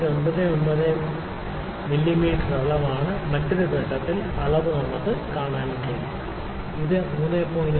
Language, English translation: Malayalam, 99 mm is dimension also we can see the reading at another point it might be, I think it may be 3